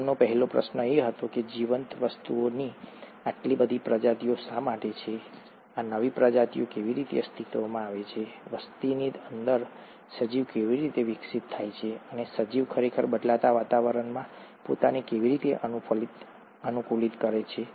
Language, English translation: Gujarati, His first question was why there are so many species of living things, how do these new species come into existence, within a population, how does an organism evolve, and how does an organism really adapt itself to the changing environment